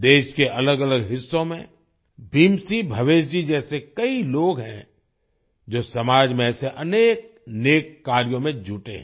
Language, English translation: Hindi, There are many people like Bhim Singh Bhavesh ji in different parts of the country, who are engaged in many such noble endeavours in the society